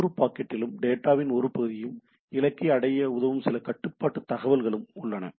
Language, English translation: Tamil, Each packet contains a portion of the data plus some control information